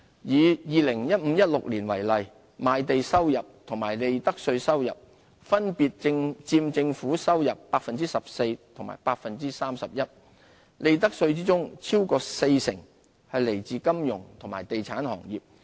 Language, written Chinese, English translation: Cantonese, 以 2015-2016 年度為例，賣地收入和利得稅收入分別佔政府收入 14% 和 31%， 利得稅中超過四成來自金融和地產行業。, Using 2015 - 2016 as an example revenue from land sales and profits tax accounted for 14 % and 31 % of government revenue respectively with the financial and real estate industries contributing over 40 % of the profits tax receipts